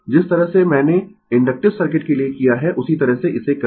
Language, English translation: Hindi, The way I have done for inductive circuit, same way you do it